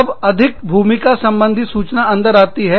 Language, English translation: Hindi, Then, more role information goes in